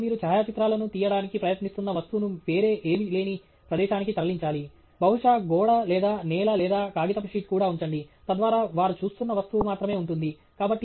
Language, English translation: Telugu, So, you should move the object that you are trying take to a location where nothing else is there; may be just the wall or the floor or even put a sheet of paper, so that that’s all the object they are looking at